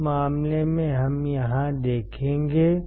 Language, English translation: Hindi, In that case we will see here that